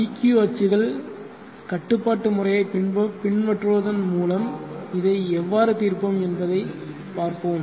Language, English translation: Tamil, Let us see how we will solve this by adopting the dq access control methodology